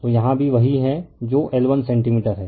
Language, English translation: Hindi, And here also this is the 2 centimeter